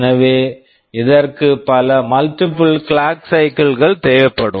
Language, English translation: Tamil, So, it will need multiple clock cycles